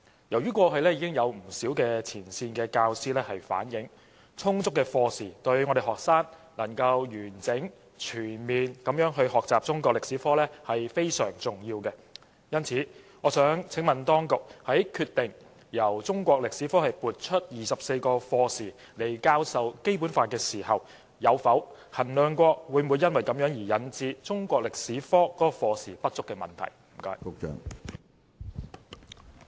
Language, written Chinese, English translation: Cantonese, 由於過去已有不少前線教師反映，充足課時對於學生能夠完整、全面地學習中國歷史科非常重要，因此，我想請問當局，在決定從中國歷史科撥出24課時來教授《基本法》時，有否衡量過會否因此引致中國歷史科課時不足的問題？, All along many frontline teachers have been saying that it is very important to provide sufficient lesson hours if students are to gain a complete grasp and integrated understanding of the subject of Chinese History . Therefore I want ask the authorities one question . Before deciding to allocate 24 lesson hours from the subject of Chinese History for teaching the Basic Law did the authorities ever assess whether this would result in insufficient lesson hours for the subject of Chinese History?